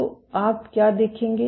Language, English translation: Hindi, So, what you will see